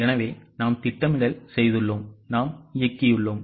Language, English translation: Tamil, So, we have done planning, we have done directing